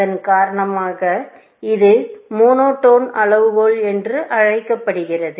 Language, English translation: Tamil, So, that is one of the reasons for, this is called a monotone criteria